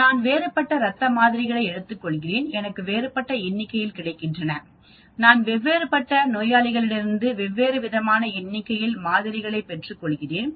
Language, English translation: Tamil, Obviously, if I take a different blood sample, I may get a different number, if I take a different blood sample from the same patient I may get a different number